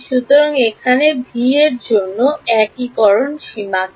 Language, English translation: Bengali, So, what are the limits of integration over here for v